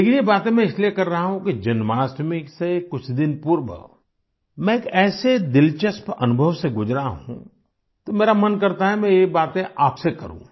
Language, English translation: Hindi, But I am saying all this because a few days before Jamashtami I had gone through an interesting experience